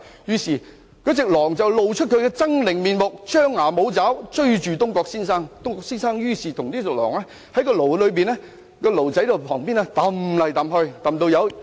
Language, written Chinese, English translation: Cantonese, 這時候，狼露出了猙獰的面目，張牙舞爪，追着東郭先生，雙方圍繞着驢子旁邊的籃子追逐。, The wolf immediately showed its ugly face bared its teeth and showed its claws while chasing Mr Dongguo around the basket and the donkey